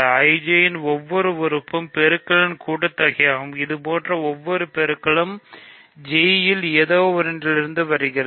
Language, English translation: Tamil, Every element of IJ is a sum of products, each such product comes from something in I times something in J